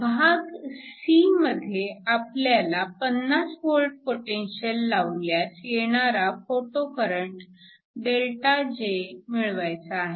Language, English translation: Marathi, In part c, we need to calculate the photo current ΔJ when you apply a potential of 50 volts